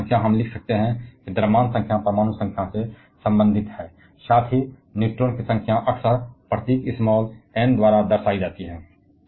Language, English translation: Hindi, So, the atomic number we can write that the mass number is related to the atomic number, plus the number of neutrons is often represented by the symbol n